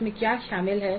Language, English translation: Hindi, What is involved in that